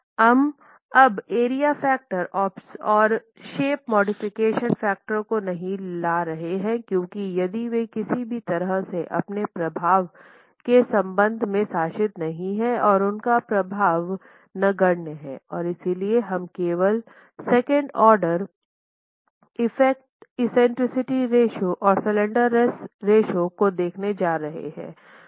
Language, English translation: Hindi, We are not bringing in the area factor and the shape modification factor anymore because those are not going to be governing and are negligible in terms of their effect if any and therefore we are only going to be looking at the second order effects, eccentricity ratio and the slendinous ratio